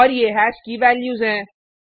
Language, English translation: Hindi, And these are the values of hash